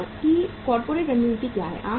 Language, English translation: Hindi, What is the corporate strategy of the firm